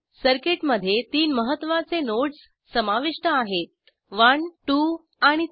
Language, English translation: Marathi, The circuit consists of three prominent nodes 1, 2 and 3